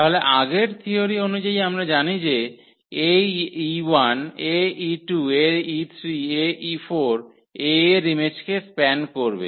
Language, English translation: Bengali, Then as per the previous theorem, we know that Ae 1, Ae 2, Ae 3, Ae 4 will span the image of A